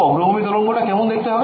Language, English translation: Bengali, So, what is the forward wave look like